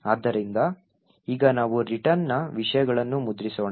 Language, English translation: Kannada, So, let us now print the contents of the return